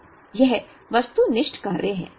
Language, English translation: Hindi, So, this is the objective function